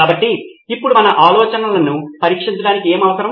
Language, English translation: Telugu, So now what do we need to test our ideas